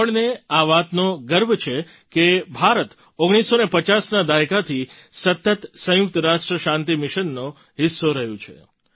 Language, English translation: Gujarati, We are proud of the fact that India has been a part of UN peacekeeping missions continuously since the 1950s